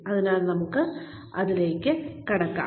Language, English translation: Malayalam, so, let us get into it